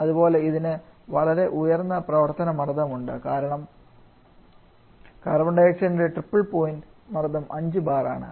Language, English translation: Malayalam, Similarly it has very high operating pressure because the triple point temperature for Carbon triple point pressure for Carbon dioxide is about 5 bar the triple point pressure